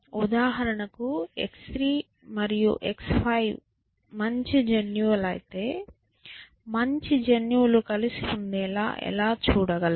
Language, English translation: Telugu, So, if x 3 and x 5 for example, happen to be good genes, how can we sort of ensure, how can we ensure that you know good genes stay together